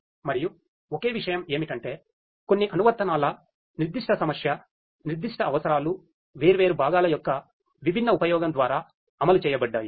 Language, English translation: Telugu, And the only thing is that the there is some application specific problem specific requirements which have been implemented through the different use of different components and so on